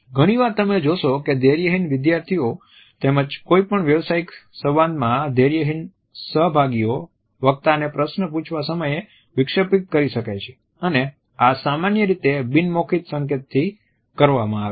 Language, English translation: Gujarati, And often you would find that impatient students as well as impatient participants in any professional dialogue, can of an interrupt the speaker to ask the questions and this is normally done to pick up the non verbal accompaniments of speech